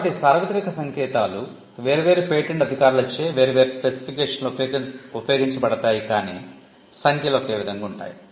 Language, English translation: Telugu, So, the universal codes are used in different specifications by different patent officers but the code the numbers tend to remain the same